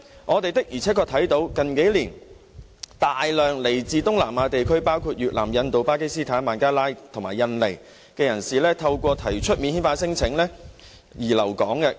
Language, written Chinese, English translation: Cantonese, 我們的而且確看到，近年來有大量來自東南亞地區，包括越南、印度、巴基斯坦、孟加拉和印尼的人士透過提出免遣返聲請而留港。, We have truly seen large numbers of people from South East Asia including Vietnam India Pakistan Bangladesh and Indonesia seek to stay in Hong Kong by lodging non - refoulement claims